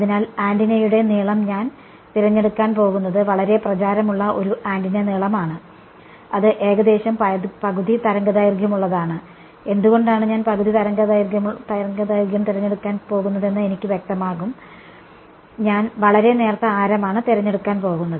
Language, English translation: Malayalam, So, what I am and the antenna length I am going to choose a very popular antenna length, which is roughly half a wavelength and I will become clear why I am going to choose half a wavelength, and I am going to choose a very thin radius